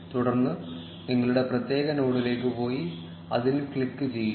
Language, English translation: Malayalam, Then go to your particular node and click on it